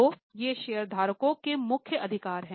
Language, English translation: Hindi, So, these are the main rights of shareholders